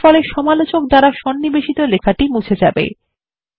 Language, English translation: Bengali, This deletes the text inserted by the reviewer